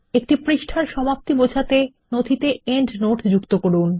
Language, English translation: Bengali, Add a endnote stating where the page ends